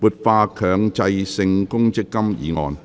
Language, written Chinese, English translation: Cantonese, "活化強制性公積金"議案。, Motion on Revitalizing the Mandatory Provident Fund